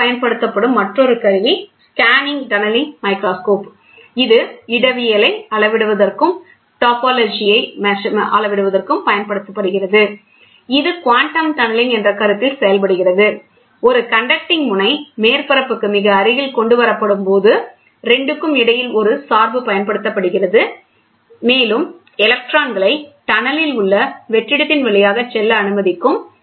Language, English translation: Tamil, The scanning tunneling microscope is another instrument commonly used; which is also used for measuring topology, it works on the concept of quantum tunneling; when a conducting tip is brought very near to the surface to be examined a bias is applied between the 2, and can allow the electrons to tunnel through the vacuum between them